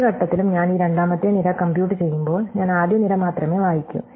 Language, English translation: Malayalam, So, at any given point, when I am computing this second column for example, I only read the first column